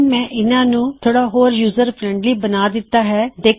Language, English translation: Punjabi, So, Ive made that a bit more user friendly